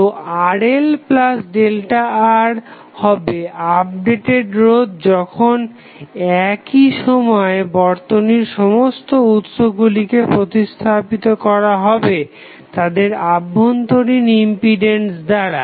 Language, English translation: Bengali, So, Rl plus delta R will be the updated resistance while at the same time replacing all sources in the circuit by their equally impedances